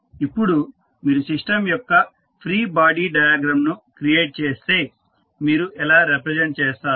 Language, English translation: Telugu, Now, if you create the free body diagram of the system, how you will represent